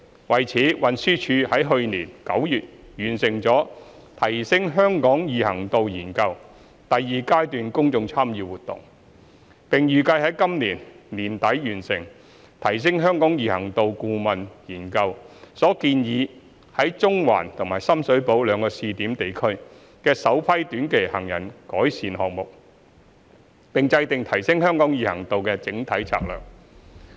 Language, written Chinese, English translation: Cantonese, 為此，運輸署已在去年9月完成"提升香港易行度研究"第二階段公眾參與活動，並預計在今年年底完成"提升香港易行度顧問研究"所建議在中環和深水埗兩個試點地區的首批短期行人改善項目，並制訂提升香港易行度的整體策略。, To this end TD completed the Stage 2 Public Engagement exercise of the Consultancy Study on Enhancing Walkability in Hong Kong in September last year . It is expected that the first batch of short - term improvement projects proposed under the Consultancy Study on Enhancing Walkability in Hong Kong for the pilot areas in Central and Shum Shui Po will be completed by the end of this year . TD will also formulate the overall strategy on enhancing walkability in Hong Kong